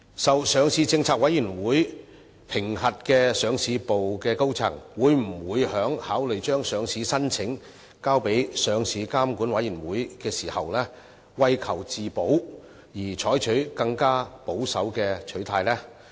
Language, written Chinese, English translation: Cantonese, 受上市政策委員會評核的上市部高層，會否考慮將上市申請交予上市監管委員會時，為求自保，採取更保守的取態？, Will senior executives who are subject to the assessment of LPC adopt a more conservative approach for the sake of self - protection when handing the listing applications to LRC?